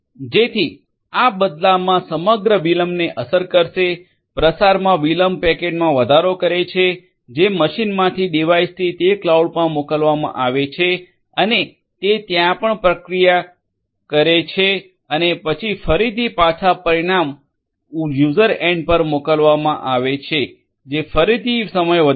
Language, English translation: Gujarati, So, this is going to in turn impact the overall latency, propagation delay is going to increase of the packet that is sent from the device in the machine to that cloud and also processing it over there and then getting it back again the results to the user end that again will add to the time